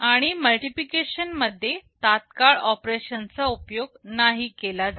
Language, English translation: Marathi, And in multiplication immediate operations cannot be used